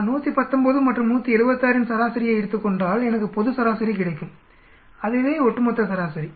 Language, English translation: Tamil, If we take an average of 119 and 176 I will get the global average that is the overall average